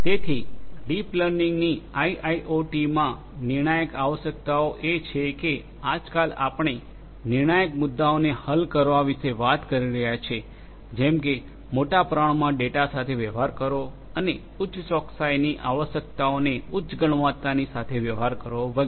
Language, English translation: Gujarati, So, the critical requirements of deep learning in IIoT are that nowadays we are talking about solving critical issues such as, dealing with large quantity of data and also dealing with higher accuracy requirements higher quality and so on